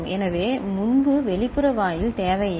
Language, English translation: Tamil, So, earlier no external gate is required